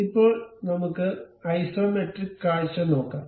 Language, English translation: Malayalam, Now, let us look at isometric view